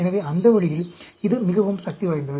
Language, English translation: Tamil, So, that way this is extremely powerful